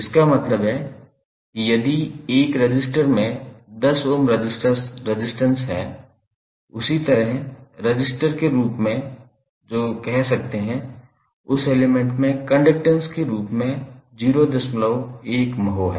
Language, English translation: Hindi, That means if 1 resistance is having 10 Ohm as resistance in the same way you can say, that element is having point1 mho as a conductance